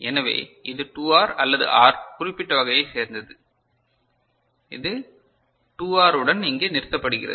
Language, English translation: Tamil, So, it is all of you know particular type either 2R or R and it is terminating here with 2R is it fine